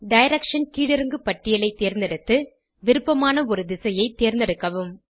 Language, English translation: Tamil, Select Direction drop down and select a direction of your choice